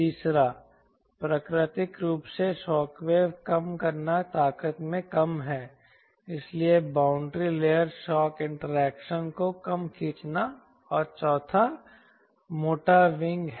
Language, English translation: Hindi, naturally shock wave is less lesser in strength, so reduce boundary layer shock interaction, so less a drag